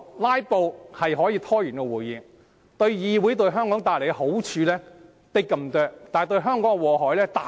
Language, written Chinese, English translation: Cantonese, "拉布"的確可以拖延會議，為議會和香港帶來的好處只是甚微，但造成的禍害卻極大。, Filibuster indeed does great harm to this Council . The benefits it brings to this Council and Hong Kong are negligible but the harm it inflicts is extremely great